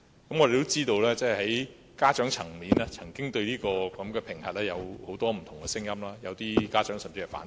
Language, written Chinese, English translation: Cantonese, 大家也知道，學生家長曾經對有關評核有很多不同的聲音，有些家長甚至表示反對。, As we all know parents of students have voiced different views on TSA with some even opposing its implementation